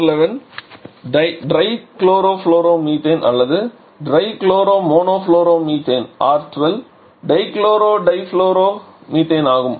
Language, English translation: Tamil, Whereas R11 is tri chlorofluoromethane or tri choloromonofluoro methane, R12 is dichloro di fluoro methane